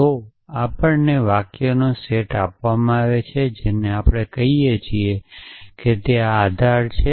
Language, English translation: Gujarati, So we are given the set of sentence which we call is a knowledge base or something like that